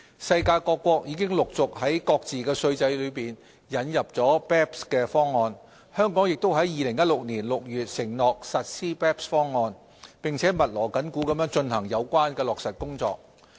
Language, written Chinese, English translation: Cantonese, 世界各國已陸續在各自的稅制當中引入 BEPS 方案，香港也於2016年6月承諾實施 BEPS 方案，並密鑼緊鼓地進行相關落實工作。, Countries around the world are successively introducing the BEPS package in their tax systems . Hong Kong too indicated its commitment to implementing the BEPS package in June 2016 with the relevant implementation work now in full swing